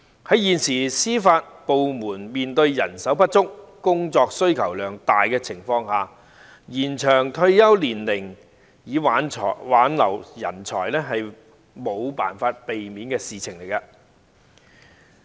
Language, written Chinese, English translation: Cantonese, 在現時司法部門面對人手不足、工作需求量大的情況下，延長退休年齡以挽留人才是無法避免的事情。, As the Judiciary is now facing the problems of manpower shortage and heavy workload it is inevitable to extend the retirement age to retain talents